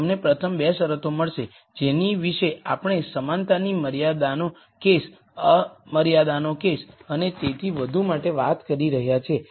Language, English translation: Gujarati, You will get the first 2 conditions that we have been talking about for the con strained case with equality constraint, unconstrained case and so on